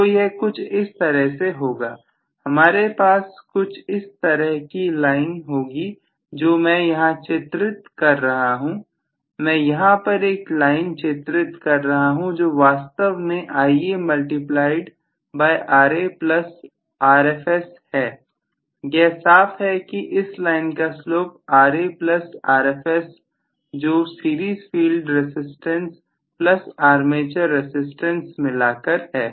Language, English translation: Hindi, that is how it going to be, so I should probably have that line drawn like this, I am just are arbitrarily drawing a line which is actually Ia multiplied by Ra plus Rfs, so the slope of this line is clearly will be Ra plus Rfs what is the series field resistance plus armature resistance together